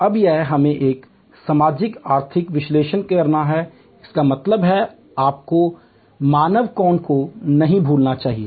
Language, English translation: Hindi, Now, here we have to do a socio economic analysis; that means, you should not forget the human angle